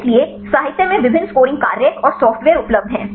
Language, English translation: Hindi, So, there are various scoring functions and the software available in the literature right